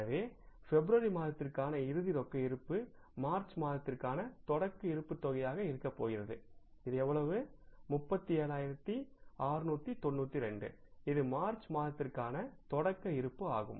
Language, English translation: Tamil, So the closing cash balance for the month of February is going to be the opening balance for the month of March and this is going to be how much